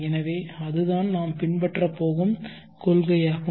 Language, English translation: Tamil, So what is the principle that we are going to follow